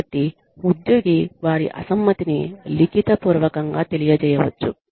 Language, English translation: Telugu, So, the employee can communicate, their dissent in writing